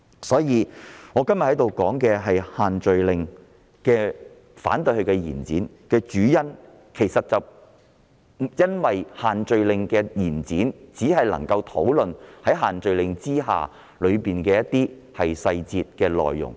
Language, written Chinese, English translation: Cantonese, 因此，我今天在此反對延展限聚令修訂期限的主因，是因為這做法只能讓我們討論限聚令的一些細節、內容。, Therefore the main reason for opposing the proposal to extend the scrutiny period of the social gathering restrictions here today is that the extension can only enable us to discuss certain details and contents of the restrictions